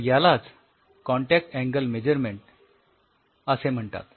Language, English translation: Marathi, So, that is called contact angle measurements